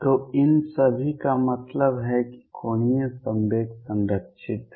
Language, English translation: Hindi, So, all these mean that angular momentum is conserved